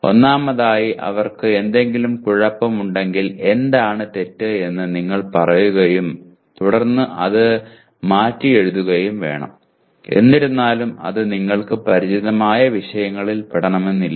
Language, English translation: Malayalam, If they are, first of all if something is wrong with them you have to state what is wrong with them and then reword it though it may not belong to your subjects that you are familiar with